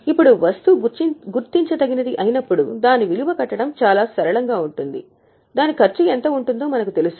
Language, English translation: Telugu, Now, what happens is when the item is identifiable, it becomes very simple, we know how much is a cost for it